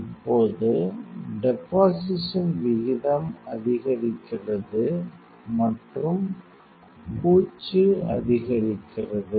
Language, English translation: Tamil, Now, the rate of deposition is increases and coating also increases